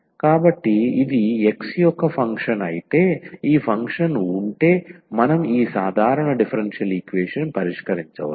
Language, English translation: Telugu, So, if this is a function of x alone, then we can solve this ordinary simple differential equation if this function is not very complicated here